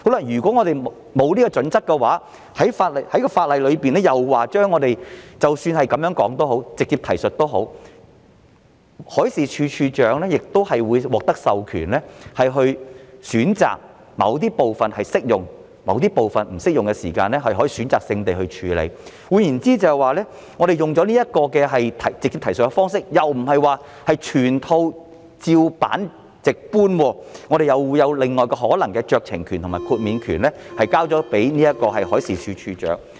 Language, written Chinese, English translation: Cantonese, 如果沒有準則的話，而法例又訂明即使是直接提述，海事處處長亦會獲得授權，選擇某部分適用或不適用，可以選擇性地處理；換言之，使用直接提述的方式，意思便不是全套"照辦直搬"，又會有額外的酌情權和豁免權給予海事處處長。, If there are no criteria and the legislation provides that even in the case of a direct reference DM will be empowered to take a selective approach in which a certain part can be identified as applicable or inapplicable then in other words the adoption of a direct reference approach does not mean replication of the whole lot and instead additional powers to exercise discretion and grant exemptions will be given to DM